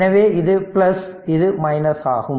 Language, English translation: Tamil, So, this is open